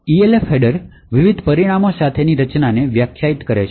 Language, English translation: Gujarati, So, the Elf header defines a structure with various parameters